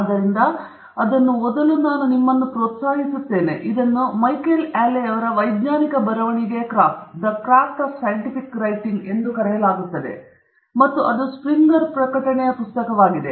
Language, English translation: Kannada, So, I would encourage you to take a look; it is called The Craft of Scientific Writing by Micheal Alley and it is a Springer publication book